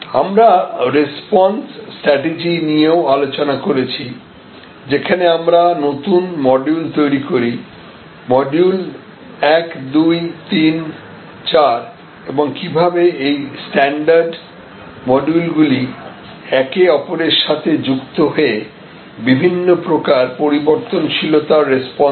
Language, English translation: Bengali, But, we had also discussed the response strategy, where we create standard modules, so module 1, module 2, module 3, module 4 and how these modules of standards can be combined and recombined to respond to different types of variability